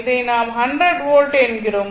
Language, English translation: Tamil, So, that is your 100 volt right